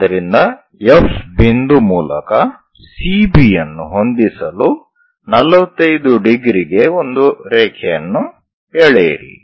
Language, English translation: Kannada, So, through F point, draw a line at 45 degrees to meet CB